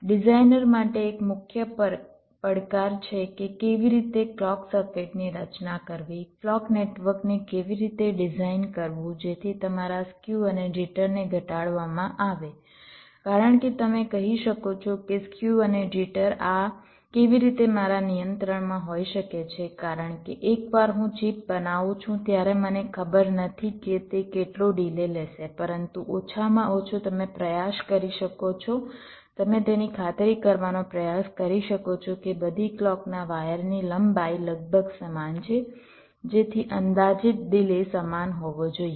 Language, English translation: Gujarati, so one of the main challenge for the designer is is how to design the clock circuit, how to design the clock network such that your skew and jitter are minimised, because you can say that well, skew and jitter, how this can be under my control, because once i fabricated a chip, i do not know how much delay it will be taking, but at least you can try